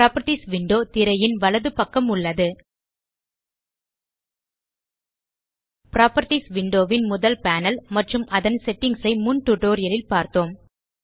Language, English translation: Tamil, We have already seen the first panel of the Properties window and the settings in the previous tutorial